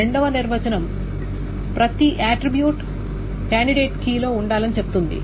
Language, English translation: Telugu, The second definition says that every attribute is in a candidate key